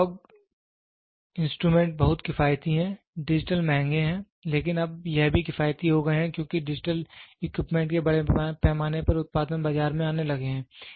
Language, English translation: Hindi, Analog instruments are very economical, digital are expensive, but now it has also become economical because lot of mass production of digital equipment have started coming in to the market